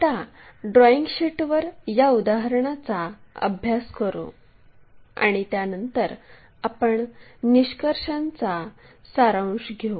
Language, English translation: Marathi, Let us practice this example on the drawing sheet after that we will summarize the finding